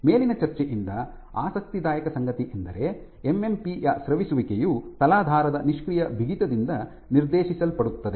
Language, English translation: Kannada, What is also interesting is that this secretion; this secretion of MMP is dictated by the passive stiffness of the substrate